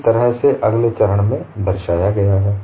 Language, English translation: Hindi, That is what the way depicted in the next step